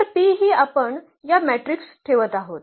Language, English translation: Marathi, So, we need this 3 columns to fill the matrix P